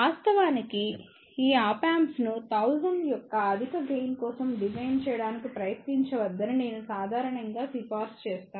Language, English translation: Telugu, In fact, I would generally recommend donot try to design these Op Amps for very high gain of 1000